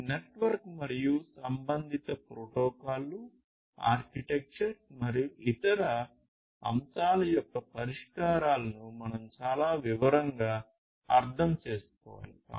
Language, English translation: Telugu, So, this is this network and the corresponding protocols, architecture, and other aspects of solutions that we need to understand in considerable detail